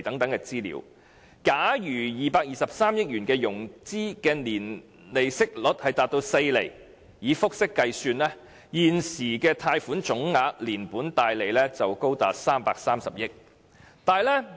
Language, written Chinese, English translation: Cantonese, 假如透過融資取得的223億元的年息率達4厘，以複式計算，現時的貸款總額連本帶利高達330億元。, If RMB22.3 billion has been borrowed at an annual compound interest rate of 4 % the total amount of the loans will now have accumulated to as much as RMB33 billion